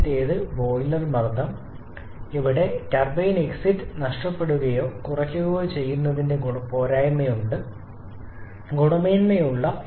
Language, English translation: Malayalam, First is the boiler pressure, where we have the disadvantage of a loss or reduction in the turbine exit quality